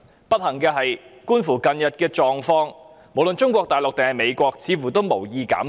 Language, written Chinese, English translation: Cantonese, 不幸的是，觀乎近日的情況，無論中國大陸還是美國似乎都無意減排。, Unfortunately judging from the recent situation neither Mainland China nor the United States seems to have the intention of reducing emission